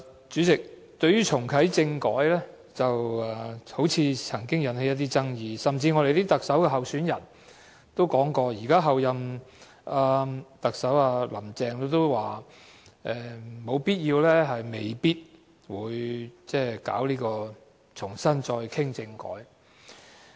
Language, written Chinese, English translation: Cantonese, 主席，對於重啟政改，好像曾經引起一些爭議，甚至連特首候選人以至候任特首亦表示，現時沒有必要、亦未必會重新討論政改。, President there seems to be some controversy over reactivating constitutional reform . Even the Chief Executive Election candidates and the Chief Executive - elect have said that discussion on constitutional reform does not need to be restarted now and it probably will not be restarted